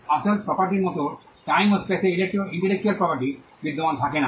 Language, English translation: Bengali, Intellectual property does not exist in time and space like real property